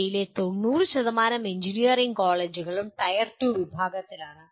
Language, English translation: Malayalam, More than 90% of engineering colleges in India belong to the Tier 2 category